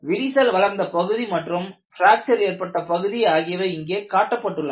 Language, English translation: Tamil, This is the crack growth phase and this is the fracture surface